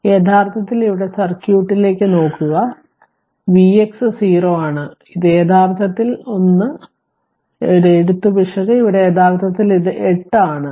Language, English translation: Malayalam, So, it is actually here look at the circuit your V x is 0 it is actually 1 my one writing error is here actually it is 8 right